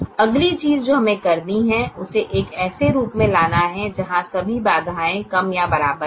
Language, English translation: Hindi, the next thing we have to do is to bring it to a form where all the constraints are less than or equal to